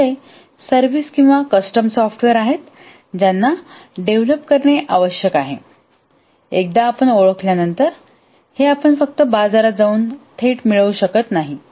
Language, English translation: Marathi, On the other hand, the services are custom software which needs to be developed once you identify this, you can just go to the market and directly get it